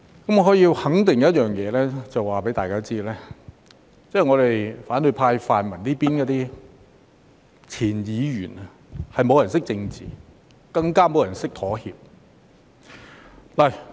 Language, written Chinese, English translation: Cantonese, 我可以肯定一件事，並且在此告訴大家，那便是在反對派或泛民的前議員中，沒有人懂得政治，更沒有人懂得妥協。, I can tell one thing for sure and here I can tell all of you that no one among the former Members of the opposition camp or the pan - democratic camp understands politics and none of them understands how to compromise